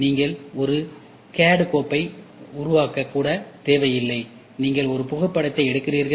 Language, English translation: Tamil, You do not even need to generate a CAD 5, you take a photograph